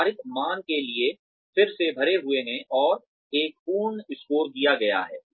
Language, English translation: Hindi, The assigned values are then totaled, and a full score is given